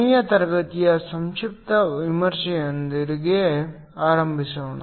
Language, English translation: Kannada, Let us start with the brief review of last class